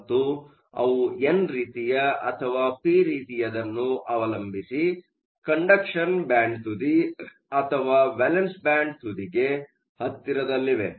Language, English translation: Kannada, And, depending upon whether they are n type or p type there will be located either close to the conduction band edge or the valence band edge